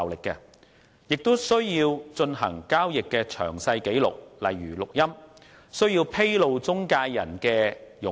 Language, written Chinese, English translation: Cantonese, 銀行亦需要有進行交易的詳細紀錄，例如錄音，又需要披露中介人的佣金。, Banks are also required to record in detail the transactions conducted for example by making audio recording and to disclose the commission for the intermediary